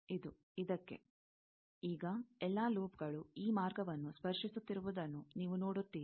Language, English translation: Kannada, This, to this; now, you see all the loops are touching this path